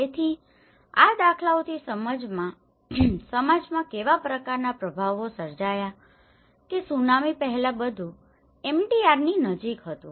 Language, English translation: Gujarati, So, these patterns have what kind of created some impacts in the society like for instance first thing is before the tsunami everything was near MDR